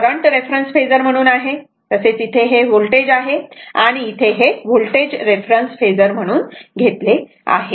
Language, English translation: Marathi, This is current as a reference phasor here is voltage that is it is because voltage here is taken as reference phasor